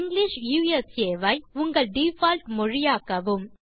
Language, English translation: Tamil, Use English as your default language